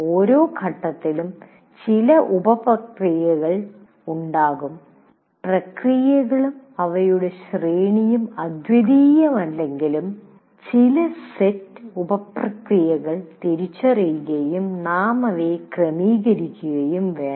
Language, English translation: Malayalam, Every phase will have some sub processes and though this the sub processes and their sequence is not anything unique, but some set of sub processes we have to identify and also sequence them